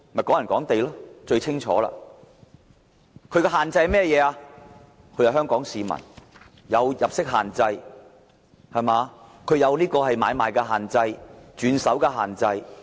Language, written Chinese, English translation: Cantonese, "港人港地"的限制包括，買家必須是香港市民，也有入息限制、買賣限制及轉手限制。, Restrictions of the HKP - HKP measure are inter alia all buyers must be Hong Kong residents and they are subject to the income requirement transaction restriction and alienation restriction